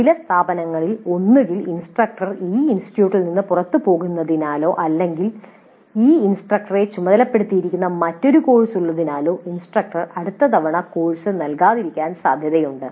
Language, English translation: Malayalam, Now notice that in some of the institutes it is quite possible that the instructor may not be offering the course next time either because the instructor leaves this institute or there is a different course which is assigned to this instructor